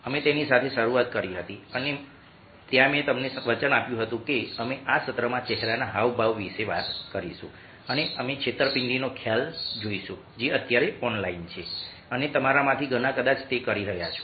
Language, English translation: Gujarati, we started ah with that and there i promised you that will be talking about facial expressions in this session and we will be looking at the concept of disseat, which is online right now and many of your probable doing it